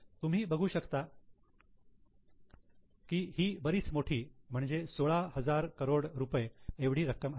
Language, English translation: Marathi, You can just have a look at the amount, it is a substantial amount, 16,000 crore